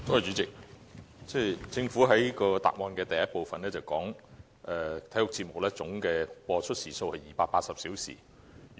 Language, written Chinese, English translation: Cantonese, 主席，政府在主體答覆的第一部分表示，體育節目總播出時數為280小時。, President the Government says in part 1 of the main reply that the total hours of broadcasting sports programmes stood at 280